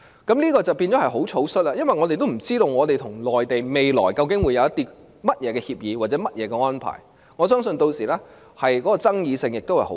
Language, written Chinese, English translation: Cantonese, 這樣做便會很草率，因為我們不知道香港與內地未來究竟會有甚麼協議或安排，我相信屆時的爭議性亦很大。, This approach is too hasty as we do not know what agreement or arrangement will be made between Hong Kong and the Mainland . I believe that it will also cause huge controversy